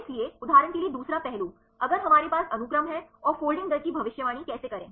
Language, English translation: Hindi, So, second aspect for example, if we have a sequence and how to predict the folding rate